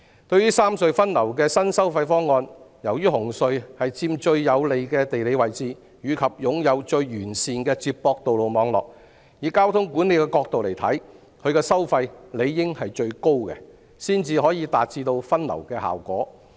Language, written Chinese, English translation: Cantonese, 對於三隧分流的新收費方案，由於紅隧佔最有利的地理位置，亦擁有最完善的接駁道路網絡，以交通管理角度而言，它的收費理應最高，才可達致分流效果。, As regards the new toll proposal for rationalizing the traffic distribution among the three tunnels since CHT occupies the most advantageous geographical location and has the best connecting road network from the perspective of traffic management its tolls should be the highest in order to achieve a reasonable distribution of traffic